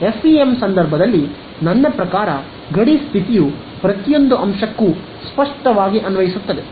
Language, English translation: Kannada, Yeah in the case of FEM your, I mean the boundary condition applies to every element on the boundary obviously